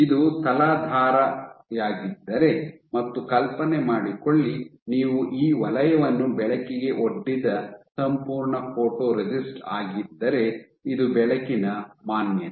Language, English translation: Kannada, So, if this is your substrate and imagine you have this is your entire photoresist of which you have exposed this zone to light this is light exposure